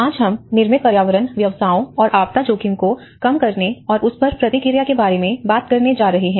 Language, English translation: Hindi, Today, we are going to talk about the built environment professions and disaster risk reduction and response